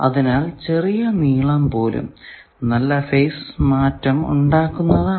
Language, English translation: Malayalam, So, even a small length that adds to quite good amount of phase